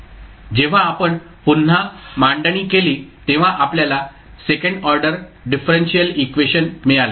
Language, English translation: Marathi, Now when we rearrange then we got the second order differential equation